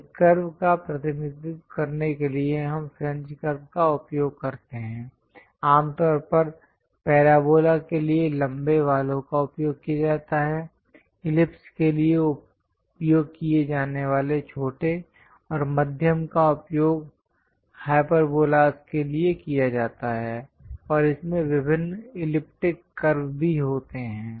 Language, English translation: Hindi, To represent a curve, we use French curves; usually, the longer ones are used for parabola ; the shorter ones used for ellipse and the medium ones are used for hyperbolas, and also, it contains different elliptic curves also